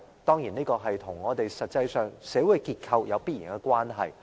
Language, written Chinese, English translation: Cantonese, 當然，這與我們實際上的社會結構有必然關係。, Of course this is definitely related to our social structure